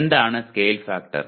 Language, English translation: Malayalam, What is a scale factor